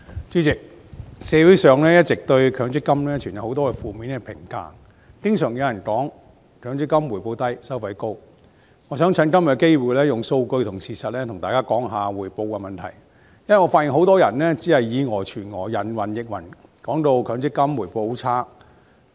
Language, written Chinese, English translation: Cantonese, 主席，社會上一直對強制性公積金存有很多負面的評價，經常有人說強積金回報低、收費高，我想藉着今天的機會利用數據和事實談談回報的問題，因為我發現很多人只是以訛傳訛、人云亦云，說強積金回報率很差。, President there have been many negative comments on the Mandatory Provident Fund MPF in society . MPF is often perceived as yielding low returns and charging high fees . I would like to take this opportunity today to talk about the issue of returns with the help of some data and facts as I found that many people incorrectly relay erroneous messages and believe in hearsay claiming that the MPF returns are very poor